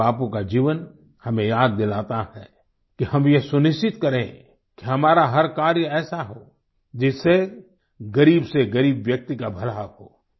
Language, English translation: Hindi, Revered Bapu's life reminds us to ensure that all our actions should be such that it leads to the well being of the poor and deprived